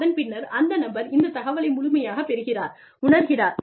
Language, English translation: Tamil, And then, the person, getting this information, realizes